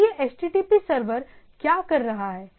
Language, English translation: Hindi, So, this HTTP server what it is doing